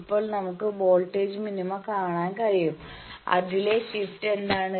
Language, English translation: Malayalam, So, if we can see the voltage minima what is the shift in that